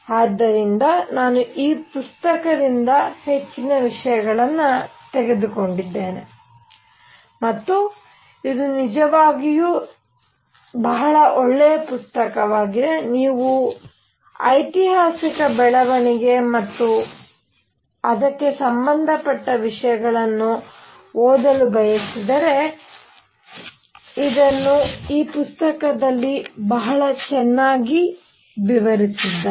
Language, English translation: Kannada, So, I have taken most of these materials from this book and this is really a very nice book, if you want to read the historical development and things like those, this is very nicely given in this book